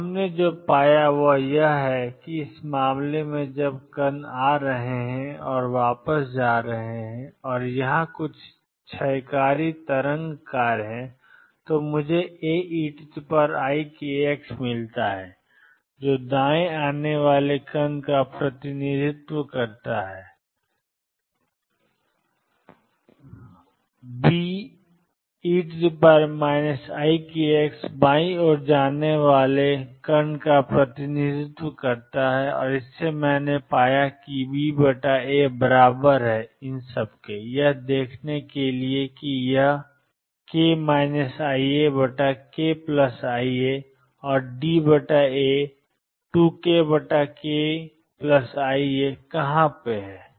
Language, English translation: Hindi, So, what we found is that in this case when particles are coming and going back and there is some decaying wave function here I have found A e raised to i k x which represent particles coming to right B e raised to minus i k x represent particles going to left I have found that B over A is equal to let see where it is k minus i alpha over k plus i alpha and D over A is 2 k A over k plus i alpha